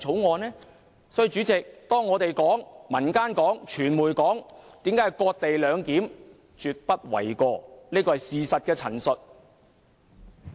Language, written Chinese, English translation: Cantonese, 所以，代理主席，我們、民間和傳媒說這是"割地兩檢"，這說法絕不為過，是事實的陳述。, For this reason Deputy President the remark made by us in the community and the media on cession - based co - location arrangement is no exaggeration but a factual statement